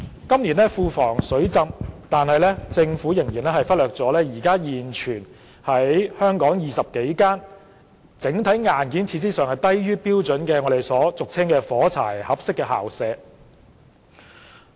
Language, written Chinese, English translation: Cantonese, 今年庫房"水浸"，但政府仍然忽略了現存20多間整體硬件和設施低於標準的學校校舍，俗稱為"火柴盒式校舍"。, With a flooded Treasury this year the Government still overlooks the existing 20 and more school premises with generally substandard hardware and facilities which are commonly known as matchbox - style school premises